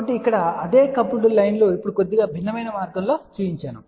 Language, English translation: Telugu, So, here the same coupled lines are shown slightly different way now